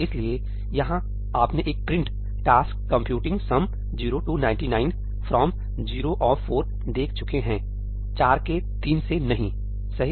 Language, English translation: Hindi, So, here you would have seen a print ëTask computing Sum 0 to 99 from 0 of 4í, not from 3 of 4, right